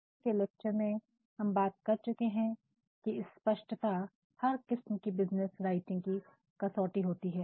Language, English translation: Hindi, As you remember in the previous lecture we talked about clarity being the hallmark of all sorts of business writing